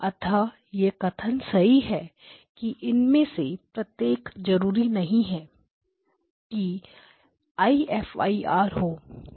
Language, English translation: Hindi, So the statement is correct that yes to each of these are, but it is not necessarily the IFIR is one type